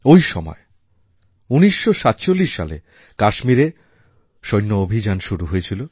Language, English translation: Bengali, Around this time, military operations commenced in Kashmir